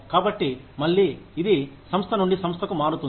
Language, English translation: Telugu, So, and again, it varies from organization to organization